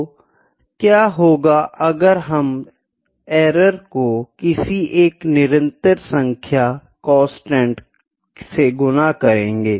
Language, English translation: Hindi, So, what if we multiply the errors with a constant